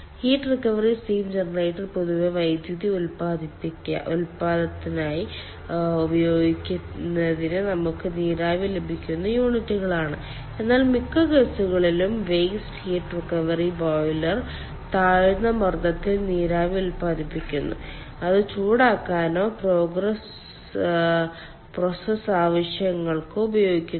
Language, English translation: Malayalam, heat recovery steam generator are generally units from which we get steam for using it for the purpose of power generation, whereas waste heat recovery boiler in ah most of the cases generates steam at low pressure and that is used either for heating or process purposes